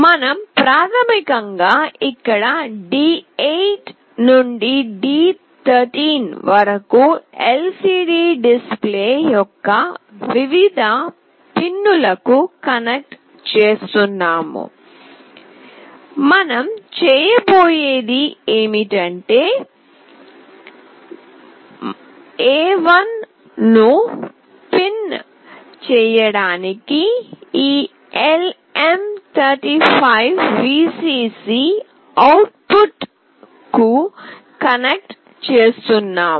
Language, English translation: Telugu, We are basically connecting from D8 to D13 to various pins of the LCD display, what we are going here to do is that, we are connecting this LM35 VCC output to pin A1